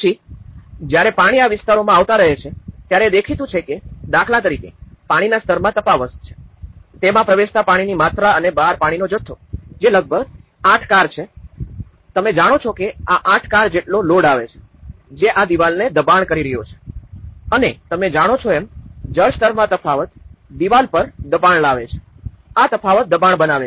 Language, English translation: Gujarati, Then, when the water keeps coming into these areas obviously, there is also an aspect of; there is a difference in water levels for instance, the amount of water it enters and the amount of water outside, this is almost 8 cars, you know the load which is coming of the 8 cars worth of load which is pushing this wall and this difference in water level you know creates the pressure on the wall you know, this difference is creating the pressure